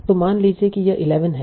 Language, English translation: Hindi, So suppose this is 11, so we will remove the 1 from here